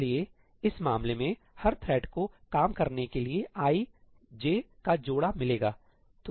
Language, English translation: Hindi, So, in this case, each thread will get an i, j pair to work on